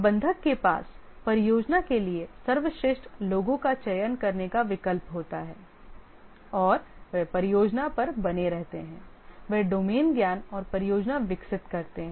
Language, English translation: Hindi, The manager has the option to select the best people for the project and they continue to stay on the project